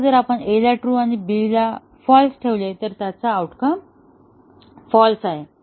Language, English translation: Marathi, Now, if we keep A as true and B as false, the outcome is false